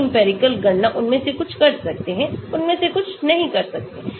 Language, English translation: Hindi, semi empirical calculations some of them can do, some of them cannot do